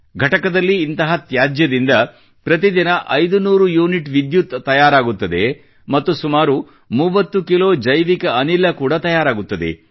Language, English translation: Kannada, In this plant 500units of electricity is generated every day, and about 30 Kilos of bio fuel too is generated